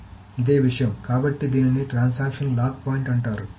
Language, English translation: Telugu, So, this is called the lock point of a transaction